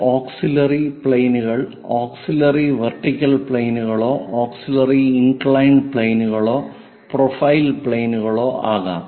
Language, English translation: Malayalam, These auxiliary planes can be auxiliary vertical planes, auxiliary inclined planes and profile planes